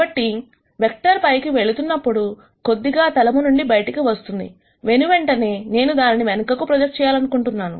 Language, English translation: Telugu, So, as soon as this vector goes up slightly outside the plane, I want it to be projected back